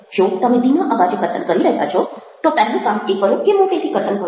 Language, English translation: Gujarati, if you are speaking in a low voice, then the first thing to do is speak loudly